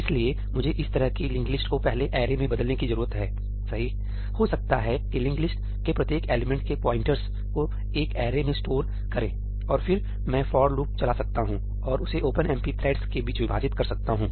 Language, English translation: Hindi, So I need to, kind of, maybe convert this linked list into an array first , maybe store the pointers of each element of the linked list in an array, and then I can run a for loop and divide that amongst the OpenMP threads